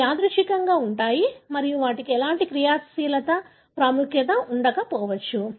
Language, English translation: Telugu, So, they are present randomly and they may not have any functional significance